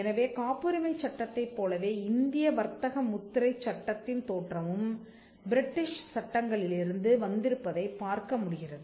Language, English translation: Tamil, So, we will see just as we had in the case of Patent Law, the origin of Indian Trademark Law is also from British Statutes